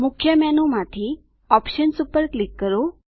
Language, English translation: Gujarati, From the Main menu, click Options